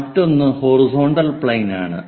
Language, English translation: Malayalam, This is what we call a horizontal plane